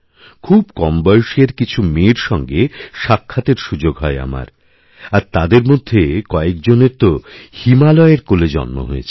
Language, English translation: Bengali, I had the opportunity to meet some young daughters, some of who, were born in the Himalayas, who had absolutely no connection with the sea